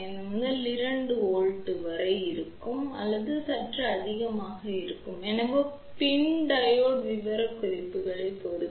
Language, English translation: Tamil, 5 to 2 volt or even slightly more so, depending upon the PIN Diode specification